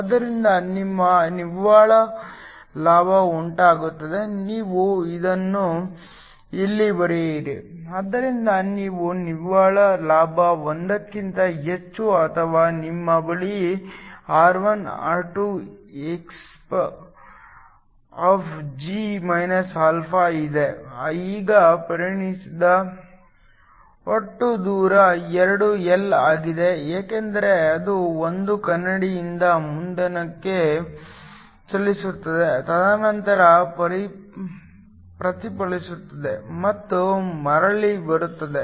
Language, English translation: Kannada, So, your net gain occurs you write it here, so you have a net gain in phi is more than 1 or you have R1R2exp(g α), now the total distance traveled is 2 L because it travels from 1 mirror to the next and then get reflected and comes back